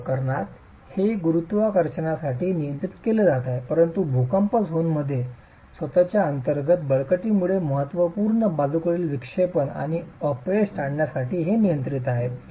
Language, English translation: Marathi, In this case it is being controlled for gravity but in earthquake zones it is controlled to avoid significant lateral deflection and failure due to the inertial forces themselves